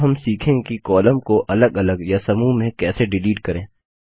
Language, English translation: Hindi, Next we will learn about how to delete Columns individually and in groups